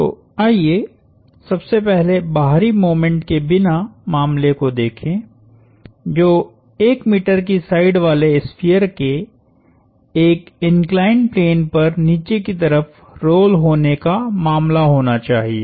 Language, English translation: Hindi, So first, let us look at the case without the external moment, which should be the case of a sphere of side 1 meter rolling down an inclined plane